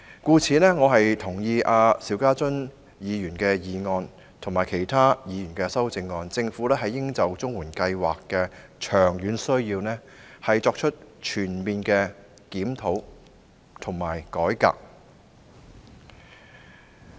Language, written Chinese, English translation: Cantonese, 因此，我贊同邵家臻議員的議案及其他議員的修正案，認為政府應就綜援計劃的長遠需要作出全面檢討和改革。, Therefore I agree with Mr SHIU Ka - chuns motion and other Members amendments and believe that the Government should conduct a comprehensive review and reform of the CSSA Scheme in the context of its long - term needs